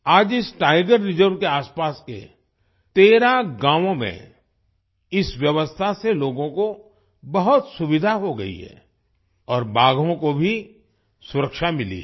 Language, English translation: Hindi, Today, this system has provided a lot of convenience to the people in the 13 villages around this Tiger Reserve and the tigers have also got protection